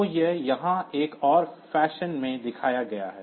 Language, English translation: Hindi, So, that is shown in another fashion here